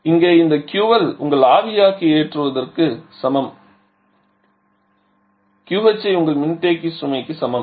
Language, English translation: Tamil, So, here this is sorry this Q L is equal to your evaporator load this Q H is equal to your condenser load